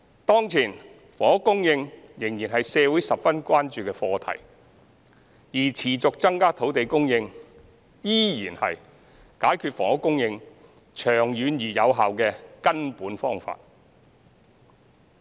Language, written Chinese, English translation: Cantonese, 當前，房屋供應仍然是社會十分關注的課題，而持續增加土地供應依然是解決房屋供應長遠而有效的根本方法。, At present housing supply is still an issue of great concern in society and increasing land supply on a sustainable basis remains the fundamental solution to effectively resolve housing supply in the long term